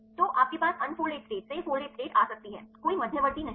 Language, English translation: Hindi, So, you can have the unfolded state to the folded state there is no intermediate